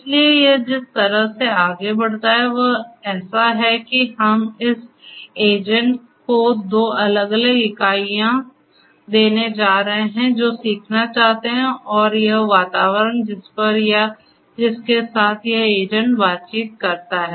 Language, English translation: Hindi, So, the way it you know it proceeds is like this that we are going to have we are going to have two different entities this agent which wants to learn and this environment on which or with which this agent interacts